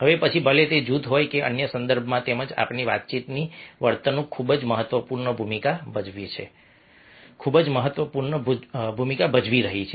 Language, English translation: Gujarati, now, whether it is group or in other context as well, our communication behavior is playing very, very vital role, very important role